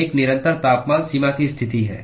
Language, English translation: Hindi, One is the constant temperature boundary condition